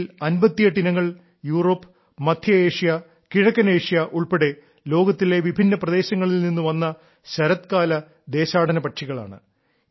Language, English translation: Malayalam, And of these, 58 species happen to be winter migrants from different parts of the world including Europe, Central Asia and East Asia